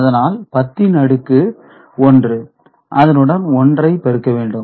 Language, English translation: Tamil, So, this 1 0 over here is 1 plus 1, which is 2